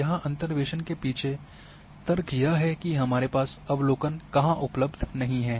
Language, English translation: Hindi, The purpose here the rationale behind interpolation is that the where we do not have observations